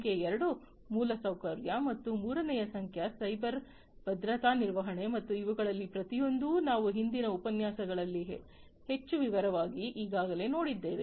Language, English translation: Kannada, Number 2 is infrastructure and number three is cyber security management and each of these we have already gone through, in much more detail in the previous lectures